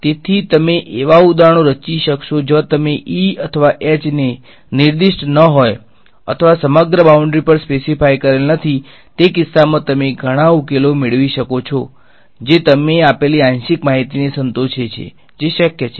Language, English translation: Gujarati, So, you may be able to construct examples where you have not specified E tan or H tan over the entire boundary, in that case you may get many solutions which satisfy the partial information which you given that is possible yeah